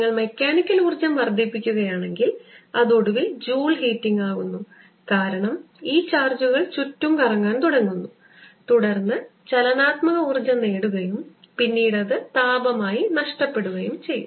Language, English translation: Malayalam, if you increase the mechanical energy, it may finally come out as joule heating, because these charges start moving around, gain kinetic energy and then lose it as heat